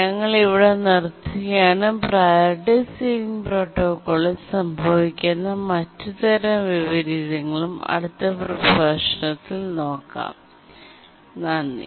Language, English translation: Malayalam, We will stop here and we'll look at the other types of inversions that can occur in the priority ceiling protocol in the next lecture